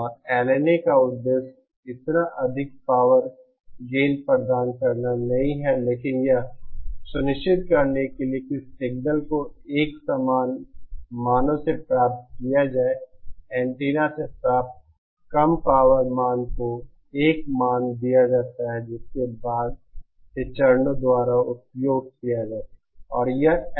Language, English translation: Hindi, And the purpose of LNA is not to provide power gain so much but to ensure that the signal is amplified from a similar value received, low power value received from the antenna to a value which can be used by subsequent stages